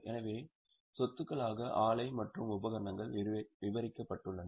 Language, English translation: Tamil, So, property plant and equipment is described